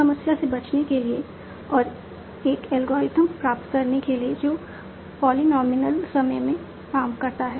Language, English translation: Hindi, So to avoid this problem and obtain an algorithm that works in polynomial time, so you will use some dynamic programming approach